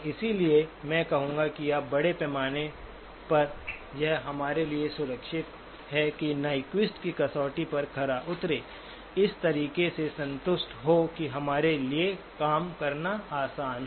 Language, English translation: Hindi, So I would say that by and large, it is safer for us to over satisfy the Nyquist criterion, satisfied in a manner that it is easy for us to work with